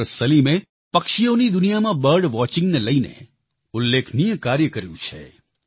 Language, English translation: Gujarati, Salim has done illustrious work in the field of bird watching the avian world